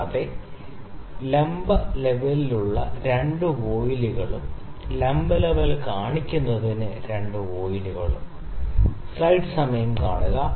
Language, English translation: Malayalam, And also the 2 voiles for the vertical level as well 2 voiles to see the vertical level as well